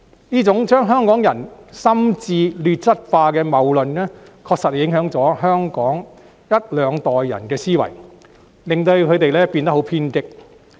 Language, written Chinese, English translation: Cantonese, 這種把香港人心智劣質化的謬論，確實影響了香港一兩代人的思維，令他們變得很偏激。, Such fallacies which have lowered the quality of minds of some Hong Kong people have indeed affected the mentality of one or two generations of Hong Kong people and they have therefore developed an overly radical mindset